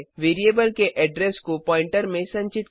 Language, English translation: Hindi, Store the address of variable in the pointer